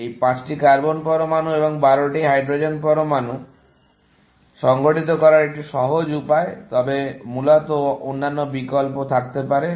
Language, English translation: Bengali, A simple way of organizing this 5 carbon atoms and 12 hydrogen atoms, but there could be other options, essentially